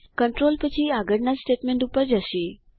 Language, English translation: Gujarati, The control then jumps to the next statement